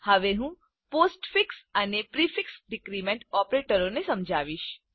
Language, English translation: Gujarati, I will now explain the postfix and prefix decrement operators